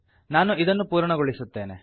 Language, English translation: Kannada, So let me complete this